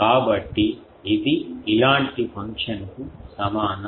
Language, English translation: Telugu, So, that is equal to a function like this